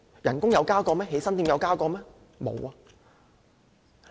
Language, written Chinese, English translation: Cantonese, 但是，工資和起薪點有增加嗎？, But have salaries and the salary starting point adjusted upward?